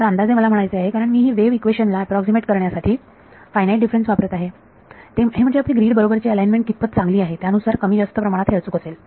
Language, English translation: Marathi, So, the approximate I mean because I am using finite differences to approximate the wave equation its more or less accurate depending on how well aligned you have with the grid right